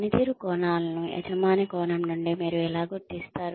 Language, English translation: Telugu, How do you identify the performance dimensions, from the employer's perspective